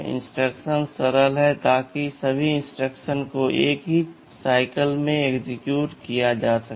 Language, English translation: Hindi, Instructions are simple so that all instructions can be executed in a single cycle